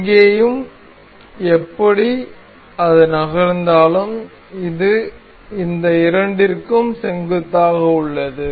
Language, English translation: Tamil, Anyway anywhere it moves, but it remains perpendicular to these two